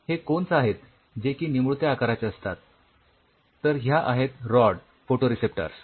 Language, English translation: Marathi, These are the cones they look like cones whereas, here have the rod photoreceptors here these are the rods